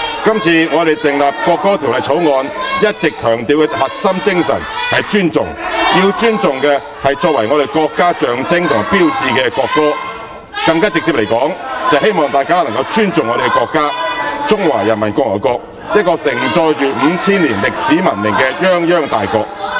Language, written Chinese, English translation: Cantonese, 今次我們訂立《國歌條例草案》，一直強調的核心精神是尊重，要尊重的是作為我們國家象徵和標誌的國歌，更直接地說，是希望大家尊重我們的國家，即中華人民共和國，一個盛載了 5,000 年歷史文明的泱泱大國。, Regarding the enactment of the National Anthem Bill this time around the core spirit we have been emphasizing all along is respect the respect of the national anthem which is the symbol and sign of our country . To put it more directly it is hoped that people will respect our country the Peoples Republic of China a great nation carrying 5 000 years of history and civilization